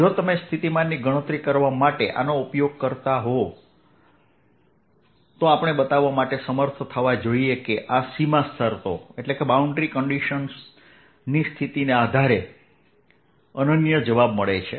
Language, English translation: Gujarati, if you want to use these to calculate potential, we should be able to show that these gives unique answers given a boundary condition